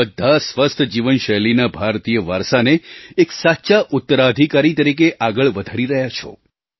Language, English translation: Gujarati, All of you are carrying forward the Indian tradition of a healthy life style as a true successor